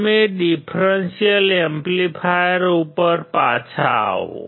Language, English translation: Gujarati, So, coming back to differential amplifier